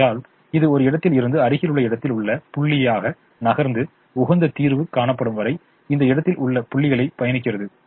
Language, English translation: Tamil, therefore it move from one corner point to an adjacent corner point and keeps traveling this corner points till the optimum solution is found